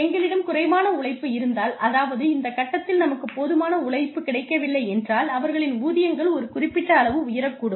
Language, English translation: Tamil, If we have less labor coming in, from this, at this point, if we do not have enough labor, their wages are likely to go up, to a point